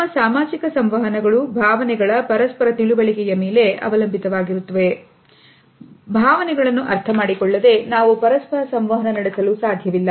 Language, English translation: Kannada, Our social interactions are dependent on the mutual understanding of emotions, without understanding the emotions we cannot interact with each other and coexist as a society